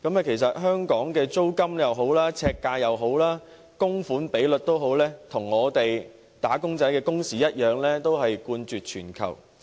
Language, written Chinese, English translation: Cantonese, 其實在香港，不論是租金、樓宇呎價、供款比例等，均與"打工仔"的工時一樣冠絕全球。, Hong Kong ranks first worldwide in respect of rents per - square - foot property prices the mortgage income ratio as well as the working hours of wage earners